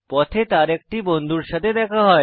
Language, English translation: Bengali, He meets a friend on his way